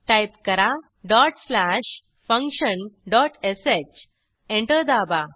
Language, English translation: Marathi, type dot slash function dot sh Press Enter